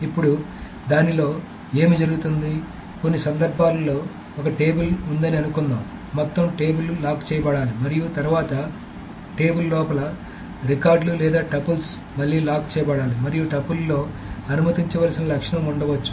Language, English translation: Telugu, Now, what happens in that, in some cases is that suppose there is a table that the entire table needs to be locked, and then within the table there are records or tuples that needs to be locked again